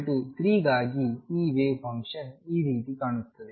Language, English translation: Kannada, For n equals 3 this wave function looks like this